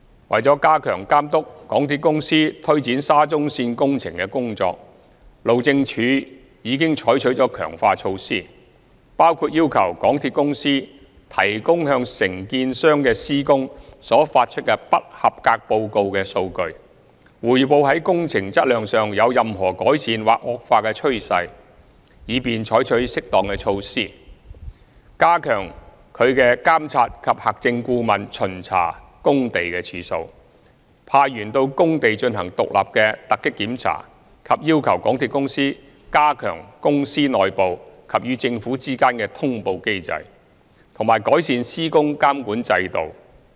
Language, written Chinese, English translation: Cantonese, 為加強監督港鐵公司推展沙中線工程的工作，路政署已採取了強化措施，包括要求港鐵公司提供向承建商的施工所發出的"不及格報告"的數據，匯報在工程質量上有任何改善或惡化的趨勢，以便採取適當的措施、加強其"監察及核證顧問"巡查工地的次數、派員到工地進行獨立的突擊檢查、要求港鐵公司加強公司內部及與政府之間的通報機制，以及改善施工監管制度。, To strengthen the supervision of the SCL works by MTRCL HyD has taken various enhanced measures which include requiring MTRCL to provide the data of Non - conformance Reports issued by MTRCL on contractor works and to report on any signs of improvement or worsening on the quality of works for taking appropriate measures increasing the number of site visits of monitoring and verification consultants conducting independent surprise checks to sites by HyDs staff and requesting MTRCL to strengthen the mechanisms for reporting within the Corporation and with the Government while improving the construction supervision system